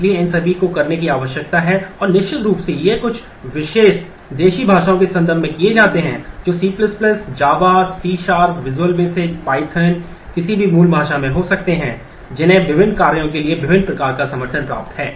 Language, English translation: Hindi, So, there is a need to do all these and certainly these are best done in terms of certain native language that could be C++, java, C#, visual basic, python any of the native languages which has support for a variety of different tasks